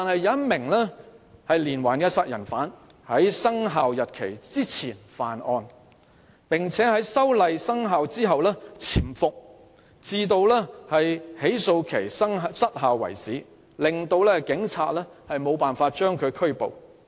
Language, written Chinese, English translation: Cantonese, 一名連環殺人犯在修例生效日期前犯案，並在修例後匿藏至起訴期失效為止，令警察無法將其拘捕。, A serial killer had committed crimes before the amendment law took effect and hidden himself until the term of the statute of limitations expired so as to avoid getting arrested by the Police